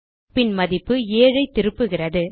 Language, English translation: Tamil, And it returns the value 7